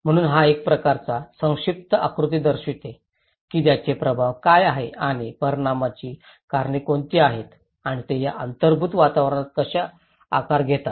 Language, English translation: Marathi, So this is a kind of brief diagram shows like saying that what are the impacts and what are the causes for these impacts and how they shape these built environments